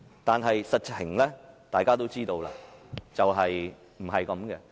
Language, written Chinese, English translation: Cantonese, 但是，大家都知道，實情並非如此。, But we all know that it is not so in reality